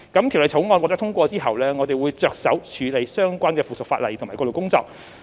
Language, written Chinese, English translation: Cantonese, 《條例草案》獲得通過後，我們會着手處理相關的附屬法例及過渡工作。, After the passage of the Bill we will proceed with the relevant subsidiary legislation and transitional work